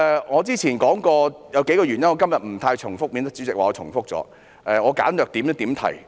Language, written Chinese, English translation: Cantonese, 我早前已提及數個原因，今天不想重複，免得主席說我重複，所以我會簡略地點題。, Having mentioned several reasons earlier I am not going to repeat them today lest the Chairman would accuse me of repeating . So I will highlight the issue briefly